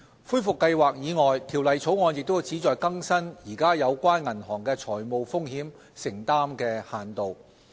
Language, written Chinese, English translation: Cantonese, 恢復計劃以外，《條例草案》亦旨在更新現時有關銀行的財務風險承擔限度。, Aside from recovery plans the Bill also seeks to update the limitations on financial exposures incurred by banks